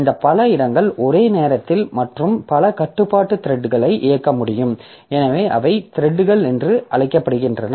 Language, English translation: Tamil, So, this multiple locations can execute at once and multiple threads of control so they are called threads